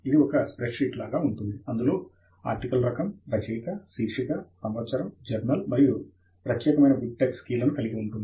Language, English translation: Telugu, It looks like a spread sheet with the Article Type, Author, Title, Year, Journal and a unique BibTex key that is made available here